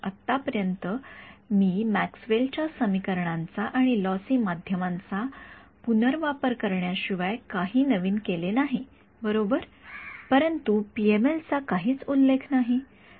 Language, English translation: Marathi, So, so far I have not done anything new except just reinterpret Maxwell’s equations and lossy media right there is no mention whatsoever of PML ok